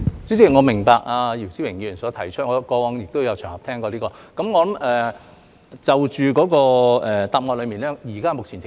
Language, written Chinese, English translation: Cantonese, 主席，我明白姚思榮議員所提出的問題，我過往也曾在其他場合聽過。, President I understand the question raised by Mr YIU Si - wing which I have also heard on other occasions in the past